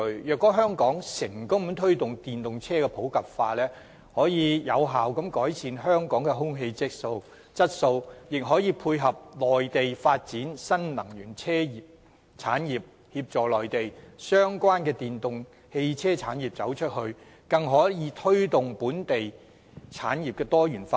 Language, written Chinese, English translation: Cantonese, 若香港成功推動電動車普及化，將可有效改善香港的空氣質素，亦可配合內地發展新能源車產業，協助內地相關電動汽車產業"走出去"，更可推動本地產業多元化。, The wider use of EVs if successfully promoted would be conducive to the effective improvement of air quality in Hong Kong . In view of the development of Mainlands new energy vehicle industry this would help the EV industry of the Mainland go global and facilitate the diversification of Hong Kongs industries